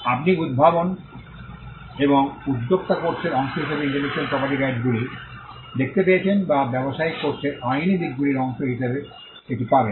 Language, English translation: Bengali, You find intellectual property rights coming as a part of the innovation and entrepreneurship course or you will find it as a part of the legal aspects of business course